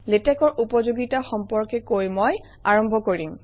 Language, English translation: Assamese, I would begin with the benefits of Latex